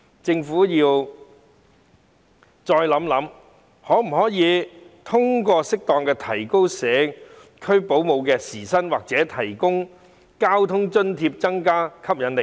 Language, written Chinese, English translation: Cantonese, 政府應再研究可否通過適當提高社區保姆的時薪或提供交通津貼，以增加這行業的吸引力。, The Government should further study whether it can increase the hourly salary of home - based child carers or provide transportation allowance for them so as to increase the attractiveness of the occupation